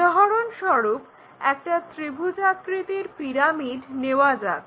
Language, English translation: Bengali, For example, let us take triangular pyramid